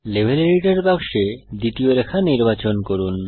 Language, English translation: Bengali, Lets select the second line in the Level Editor box